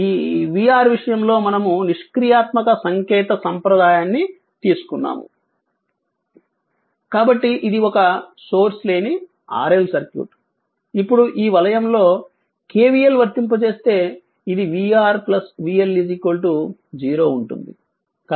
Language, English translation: Telugu, So, that passive ah your what you call this ah your v R whatever we have taken that passive sign convention right So, this is a source free RL circuit, now if you if you apply in this loop the KVL it will be v R plus vL is equal to 0 you apply KVL